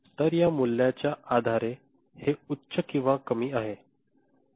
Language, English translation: Marathi, So, based on this value, based on this value, this is high or low